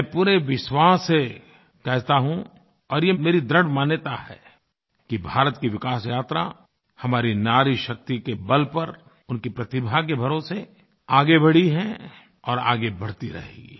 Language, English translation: Hindi, I not only reiterate this wholeheartedly but it is my firm belief that the journey of India's progress has been possible due to womenpower and on the basis of their talent and we will continue to march onwards on this path of progress